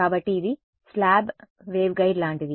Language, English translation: Telugu, So, it is like a slab waveguide right